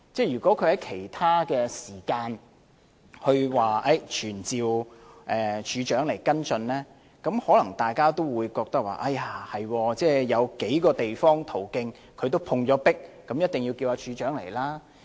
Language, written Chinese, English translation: Cantonese, 如果他在其他時間提出要求傳召懲教署署長來跟進，大家可能會覺得，他因為在數個途徑也碰壁，所以一定要傳召懲教署署長。, If he had asked at other time to summon the Commissioner of Correctional Services to follow up on the matter we might have thought that he surely needed to summon the Commissioner of Correctional Services as he had met obstacles in other channels